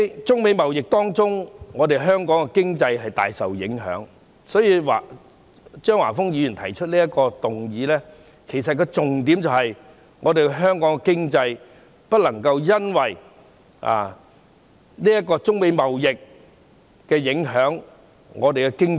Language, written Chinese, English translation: Cantonese, 中美貿易戰令香港經濟大受影響，張華峰議員提出此項議案的重點，是要指出不能因為中美貿易戰而影響香港的經濟。, Hong Kong economy is greatly affected by the China - United States trade war which is why Mr Christopher CHEUNG proposed this motion seeking to emphasize that Hong Kong economy should not be affected by the China - United States trade war